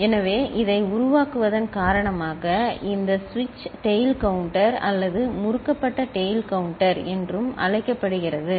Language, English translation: Tamil, So, this is the making of it because of which it is also called switched tail counter or twisted tail counter, right